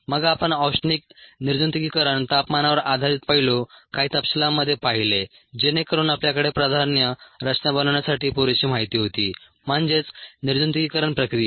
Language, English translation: Marathi, then we saw thermal sterilization the temperature based aspect in some detail so that we had enough information to ah we able to design a priory, this sterilization process